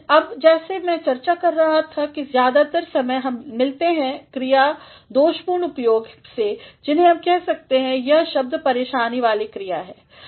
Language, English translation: Hindi, Now, as I was discussing that most of the time we come across the faulty use of verbs which we can say that these words are troublesome verbs